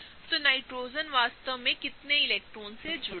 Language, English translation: Hindi, So, how many electrons really belong to the Nitrogen